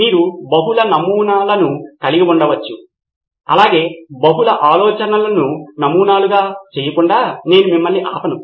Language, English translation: Telugu, You can have multiple prototypes as well I am not stopping you from making multiple ideas into prototypes